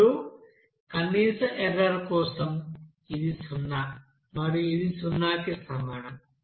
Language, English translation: Telugu, Now for minimum error, this will be equals to zero and this will be equals to zero